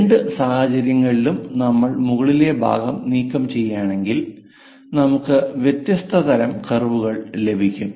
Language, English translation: Malayalam, In both the cases if we are removing the top part, we will get different kind of curves